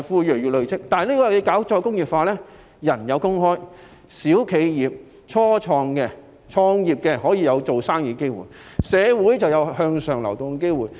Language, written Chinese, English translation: Cantonese, 然而，如果推行再工業化，市民有工作，小企業、初創企業也可以有營商的機會，形成社會有向上流動性。, However if re - industrialization is taken forward people will have jobs while small enterprises and start - ups will have business opportunities thereby creating upward mobility in society